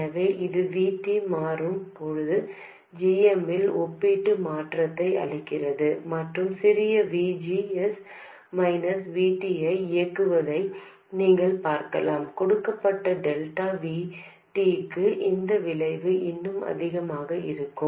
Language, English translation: Tamil, So this gives you the relative change in GM when VT changes and you can see that if you operate with a small VGS minus VT this effect will be even more for a given delta VT